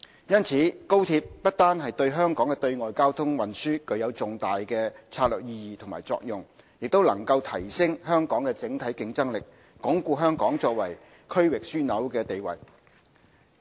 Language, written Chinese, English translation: Cantonese, 因此，高鐵不單對香港的對外交通運輸具有重大的策略意義及作用，也能提升香港的整體競爭力，鞏固香港作為區域樞紐的地位。, Therefore not only does the XRL have important strategic significance and value to Hong Kongs external traffic and transport but it can also raise Hong Kongs overall competitiveness and consolidate Hong Kongs status as a regional hub